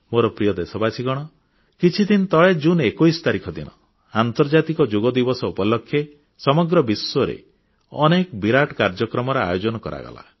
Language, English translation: Odia, My dear Countrymen, a few days ago on 21st June, the whole world organised grand shows in observance of the anniversary of the International Day for Yoga